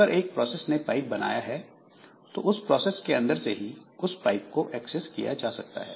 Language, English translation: Hindi, So, one process creates a pipe and it can be accessed from within the process only